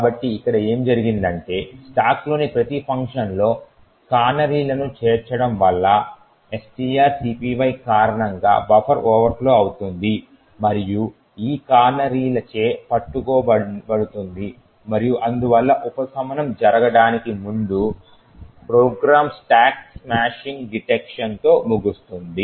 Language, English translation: Telugu, So what has happened here is due to the addition of the canaries in each function in the stack the buffer overflows due to the string copy gets detected and caught by these canaries and therefore before subversion actually happens, the program terminates with a stack smashing detection